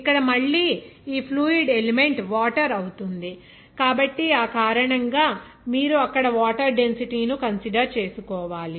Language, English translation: Telugu, Here again, this fluid element will be only water, so because of that, you have to consider the density of water there